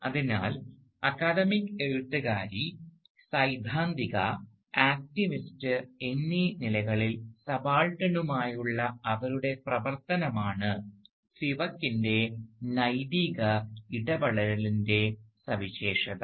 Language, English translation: Malayalam, So, Spivak's ethical intervention is characterised by her work with the subaltern, for the subaltern, both as an academic writer, theoretician and as an activist